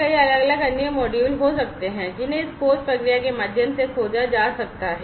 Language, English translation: Hindi, So, there could be many different other modules, that could be discovered through this discovery process